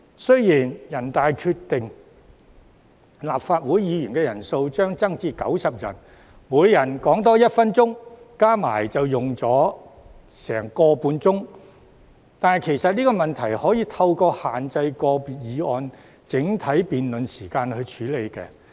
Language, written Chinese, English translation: Cantonese, 雖然人大決定立法會議員人數將增至90人，每人發言多1分鐘，相加起來便要多用上近1小時30分，但其實這問題可透過限制個別議案的整體辯論時間處理。, NPC has decided to increase the composition of the Legislative Council to 90 Members . That means an extra minute of speaking time for each Member will add up to an additional 1 hour 30 minutes . But actually this problem can be resolved by limiting the overall duration of debate on individual motions